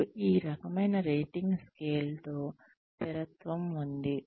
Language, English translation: Telugu, And, there is consistency, in this kind of rating scale